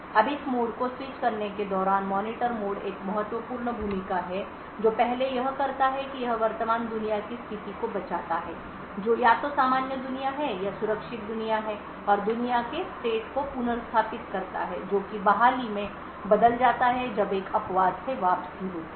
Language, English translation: Hindi, Now the Monitor mode is a crucial role during this mode switching first what it does is that it saves the state of the current world that is either normal world or the secure world and restores the state of the world that is switched to so the restoration is done when there is a return from an exception